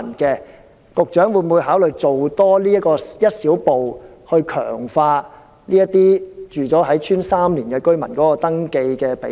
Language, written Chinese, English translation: Cantonese, 局長會否考慮多走一小步，提高這些已在鄉村居住3年的居民的登記比例？, Will the Secretary consider taking one small step further to improve the registration rates of electors who have resided in the rural areas for three years?